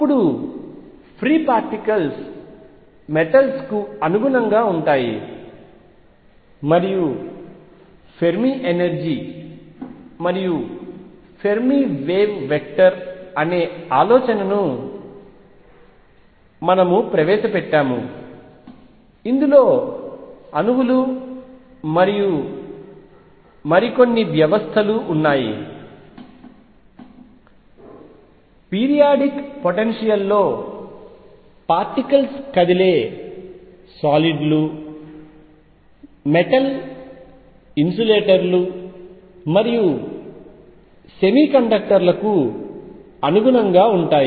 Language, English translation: Telugu, Then free particles correspond to metals and we introduce the idea of Fermi energy and Fermi wave vector this included atoms and more systems finally, particles moving in a periodic potential correspond to solids metals insulators and semiconductors